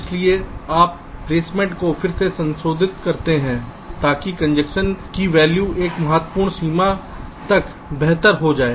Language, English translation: Hindi, so you modify the placement again such that the congestion value is get improved to a significant extent